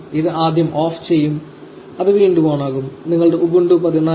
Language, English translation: Malayalam, It will power off first, it will power on again and you should be ready to use your ubuntu 14